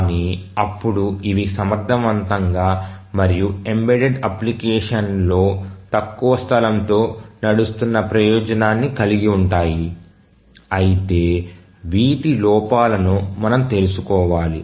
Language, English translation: Telugu, But then even these have the advantage of running efficiently and with less space on an embedded application but then these have their shortcomings which we must be aware of